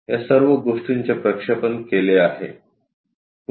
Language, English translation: Marathi, All these things projected